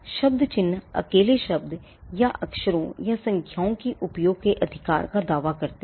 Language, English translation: Hindi, Word marks claim the right to use the word alone, or letters or numbers